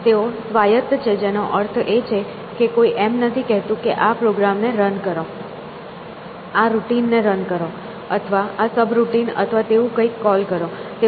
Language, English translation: Gujarati, They are autonomous which means that nobody is saying that run this program, run this routine or call this subroutine or something like that; they are proactive